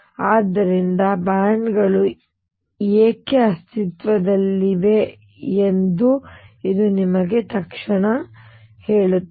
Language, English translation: Kannada, So, this tells you immediately why the bands exist